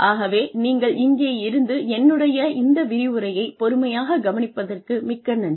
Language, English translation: Tamil, So, thank you very much, for being here, and listening patiently to the lecture